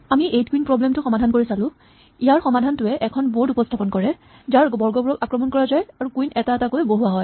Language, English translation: Assamese, We were looking at the 8 queens problem, and our solution involved representing the board, which squares are under attack and placing the queens one by one